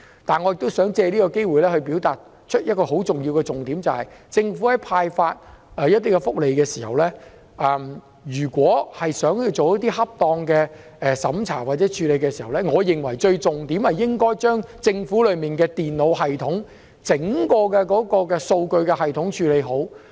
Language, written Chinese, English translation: Cantonese, 但是，我亦想藉此機會表達一個很重要的重點，就是政府在派發福利時，如果是想做一些恰當的審查或處理，我認為重點應該是將政府內的電腦系統、整個數據系統處理好。, However I also wish to take this opportunity to strike home a very important point that is when the Government grants benefits if it wants to carry out some appropriate checking or processing I believe the emphasis should be on refining the Governments computer system or its entire data system